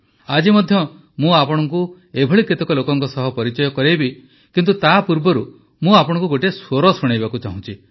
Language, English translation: Odia, Even today I will introduce you to some such people, but before that I want to play an audio for you